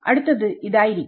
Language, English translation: Malayalam, So, it will be